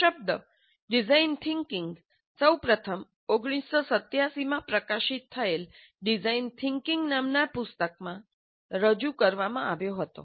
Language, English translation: Gujarati, The term design thinking was first introduced by Peter Rewe in his book titled Design Thinking, which was published in 1987